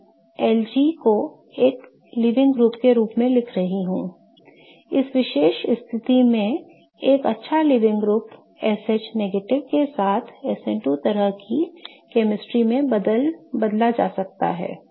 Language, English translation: Hindi, A good living group in this particular situation can be replaced with SH minus in an SN2 kind of chemistry